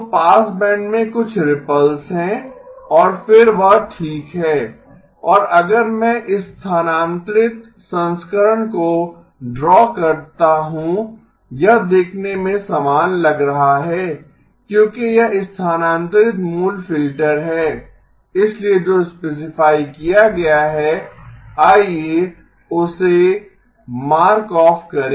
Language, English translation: Hindi, So some ripples in the passband and then that okay that is the and if I draw the shifted version, it is going to look identical because it is the original filter shifted, so let us mark off the what has been specified